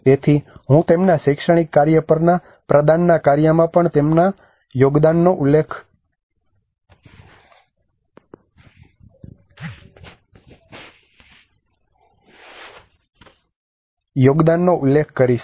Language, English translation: Gujarati, So I will be referring to their contributions on their academic work also the project work